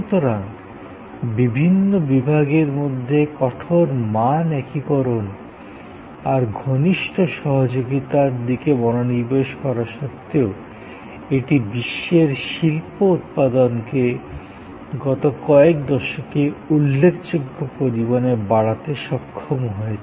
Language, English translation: Bengali, So, the focus was on tighter value integration, closer cooperation among the various departments, but it still, it increased worlds industrial output significantly over the last few decades